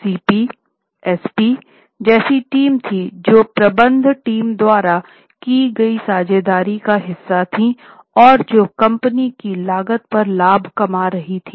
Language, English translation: Hindi, There were CPs, SPs that is partnerships made by the managing team who were making profit at the cost of company